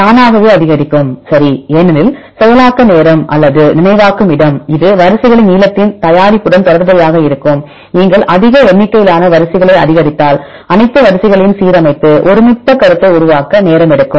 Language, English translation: Tamil, Automatically increase right because the processing time or the memory space this will related to the product of the length of the sequences if you increase more number of sequences it will take time to align all the sequences and make the consensus one